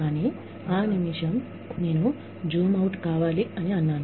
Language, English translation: Telugu, But, the minute, I said, I need you to zoom out